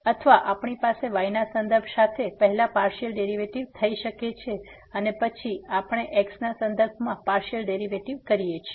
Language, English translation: Gujarati, Or we can have like first the partial derivative with respect to and then we take the partial derivative with respect to